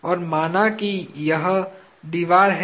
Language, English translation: Hindi, And, let us say this is the wall